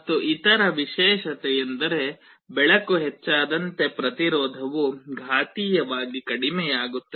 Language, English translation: Kannada, And the other property is that as the illumination increases the resistance decreases exponentially